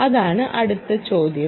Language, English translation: Malayalam, that is the issue